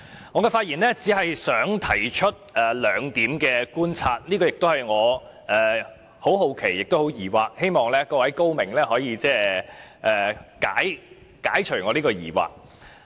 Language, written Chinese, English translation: Cantonese, 我發言只是想提出兩點觀察，這兩點令我感到很好奇和很疑惑，希望各位高明可以解除我的疑惑。, I would only make two points of observation which have very much surprised and baffled me; and I hope that some learned Members can clear my doubts